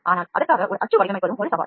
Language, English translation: Tamil, But designing a mould for it is also a challenge